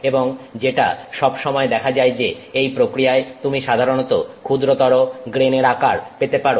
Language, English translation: Bengali, And what has always been seen is that you can in this process typically the grain size becomes smaller